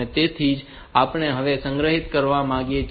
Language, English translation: Gujarati, So, that is what we want to store now